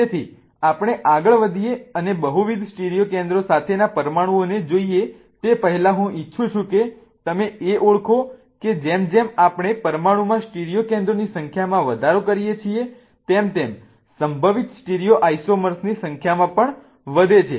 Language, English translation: Gujarati, So, before we go ahead and look at molecules with multiple stereocentors, I want you to recognize that as we go on increasing the number of stereo centers in a molecule, the number of possible stereosomers also increase